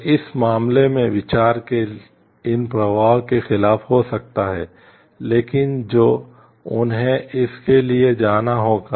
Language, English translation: Hindi, So, in this case against these flow of thought could have been happened, but which would have led them to go for this